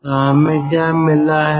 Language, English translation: Hindi, so thats how we have got this